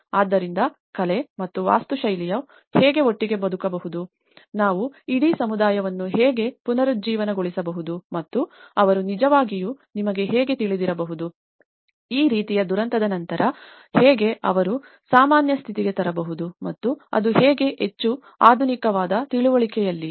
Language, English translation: Kannada, So, how an art and architecture can come together, how we can actually revitalize the whole community and how they can actually you know, come up with this kind of aftermath of a disaster and how they can actually bring back to the normal and that to in a more of a modernistic understanding